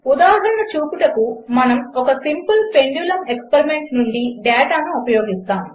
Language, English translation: Telugu, We will use data from a Simple Pendulum Experiment to illustrate